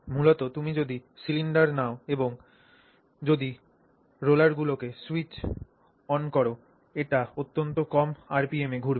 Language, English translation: Bengali, So, basically if you take the cylinder, if you switch on the rollers and make them rotate at extremely small RPM